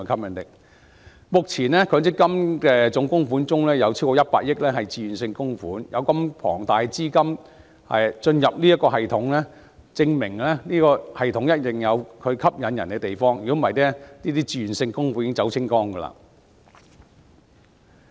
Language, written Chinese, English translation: Cantonese, 目前，強積金總供款中有超過100億元為自願性供款，有如此龐大的資金進入這個系統，證明一定有其吸引之處，否則自願性供款早已全部撤走。, Currently over 10 billion in the total MPF contributions is voluntary contributions . With such a huge capital flowing into the system it proves that there are some points of attraction . Otherwise all the voluntary contributions have already been withdrawn